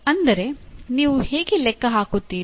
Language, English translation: Kannada, That is how do you calculate